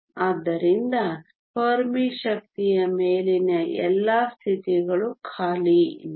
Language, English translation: Kannada, So, all the states above the Fermi energy are unoccupied